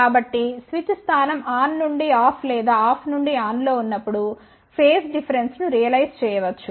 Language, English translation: Telugu, So, the phase difference will be realized; when the switch position changes from on to off or off to on